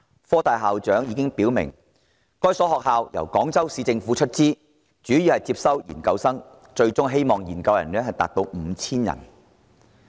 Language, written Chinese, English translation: Cantonese, 科大校長表明，該所學校由廣州市政府出資，主要招收研究生，希望研究生數目最終達 5,000 人。, HKUST President made it clear that the new campus will be funded by the Guangzhou Municipal Government and primarily admit postgraduate students which number is expected to reach 5 000 ultimately